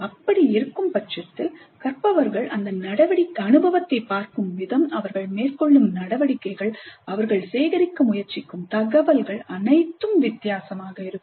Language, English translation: Tamil, If that is so, the way the learners look at the experience, the kind of activities they undertake, the kind of information that they try to gather, would all be different